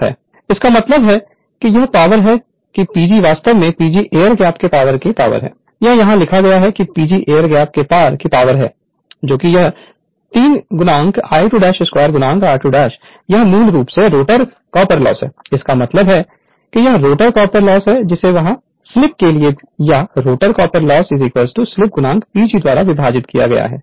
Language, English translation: Hindi, So; that means, this means that is a power that P G is actually P G is the power across the air gap, it is written here P G is the power across the air gap is equal to this 3 I 2 dash square into r 2 dash this is basically rotor copper loss right so; that means, this is rotor copper loss divided by slip right there for or rotor copper loss is equal to slip into P G right